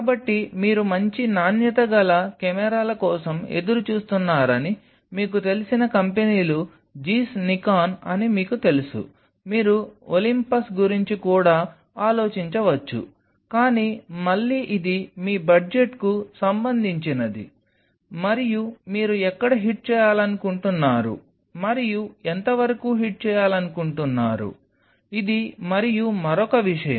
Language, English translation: Telugu, So, the companies which you may like to you know look forward for good quality cameras will be Zeiss Nikon, you may even think of Olympus, but again it is all about your budget where you are hitting upon and how far you want to hit on this, and one more thing